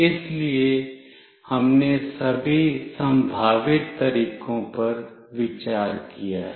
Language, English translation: Hindi, So, all the possible ways we have taken into consideration